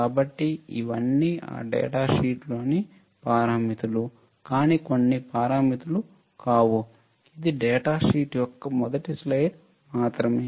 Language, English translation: Telugu, So, these are all the parameters in that data sheet, but not all the parameters this is just first slide of the data sheet